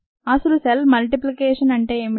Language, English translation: Telugu, and what is cell multiplication